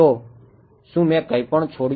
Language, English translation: Gujarati, So, did I leave out anything